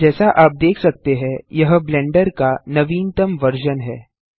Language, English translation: Hindi, As you can see, this is the latest stable version of Blender